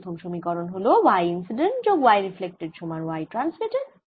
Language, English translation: Bengali, i have: y incident plus y reflected is equal to y transmitted